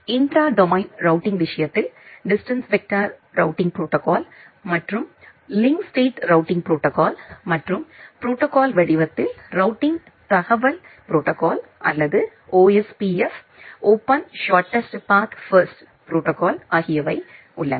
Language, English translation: Tamil, In case of intra domain routing we have looked into there are distance vector routing protocols, the link state routing protocols and in protocol format the routing information protocol or OSPF protocol and for inter domain routing we have the border gateway protocol or the BGP